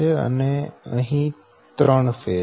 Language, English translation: Gujarati, so it is a three phase